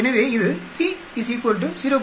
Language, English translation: Tamil, So this is for p equal to 0